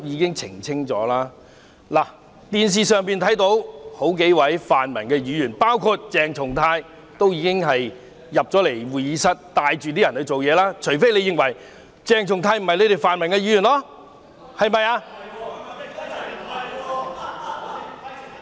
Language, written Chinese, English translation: Cantonese, 從電視可見，數位泛民議員——包括鄭松泰議員——帶領其他人進入會議廳"做嘢"，除非泛民議員認為鄭松泰議員並非他們一分子。, We could see from television footage that several pan - democratic Members including Dr CHENG Chung - tai led outsiders into the Chamber to do something unless pan - democratic Members do not consider Dr CHENG Chung - tai one of them